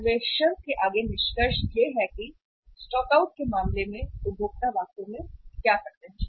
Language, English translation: Hindi, The further findings of the survey are, what consumers really do in case of the stockouts